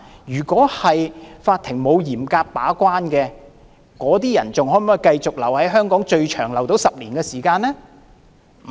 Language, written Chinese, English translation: Cantonese, 如果法庭沒有嚴格把關，這些人可否繼續留在香港，最長更達到10年時間？, If the courts have not acted as cautious gatekeepers can those people continue to stay in Hong Kong for as long as 10 years?